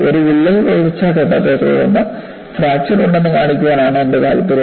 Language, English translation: Malayalam, My interest is to show, that there is a crack growth phase followed by fracture